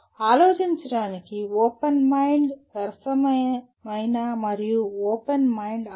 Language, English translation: Telugu, Thinking requires open mind, a fair and open mind